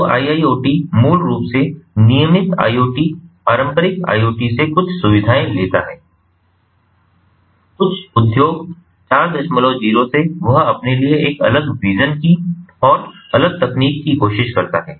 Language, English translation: Hindi, so iiot basically takes some features from the regular iot, the conventional iot, some from industry four point zero, and try tries to have a separate vision, separate technology for itself